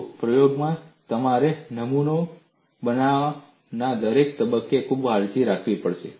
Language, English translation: Gujarati, See, in experiment, you have to be very careful at every stage of making the specimen